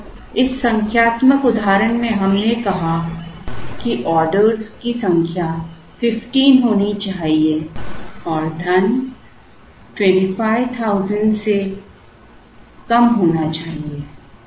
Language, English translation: Hindi, Say, in this numerical example we said that the number of orders should be 15 and the money should be less than 25,000